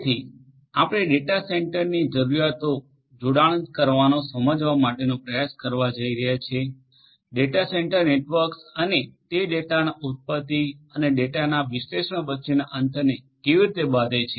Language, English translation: Gujarati, So, we are going to try to connect to try to understand the requirement of data centre, data centre networks and how they bridge the gap between the origination of the data and the analysis of the data